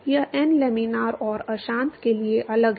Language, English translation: Hindi, This n is different for laminar and turbulent